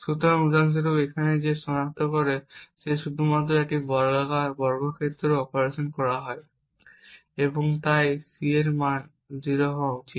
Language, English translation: Bengali, So, for example over here he identifies that there is only a square operation that is performed and therefore the value of C should be 0